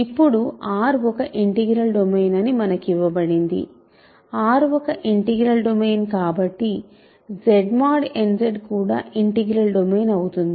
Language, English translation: Telugu, Now, we are given that since R is an integral domain; so, I will shorten it like this since R is an integral domain so, is Z mod n Z right